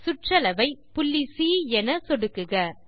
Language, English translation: Tamil, click on the circumference as point c